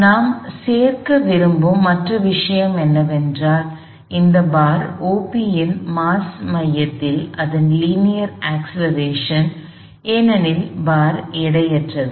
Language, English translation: Tamil, Only other thing we want to include is that, the linear acceleration of this at the center of mass of this bar O P, because the bar itself is weightless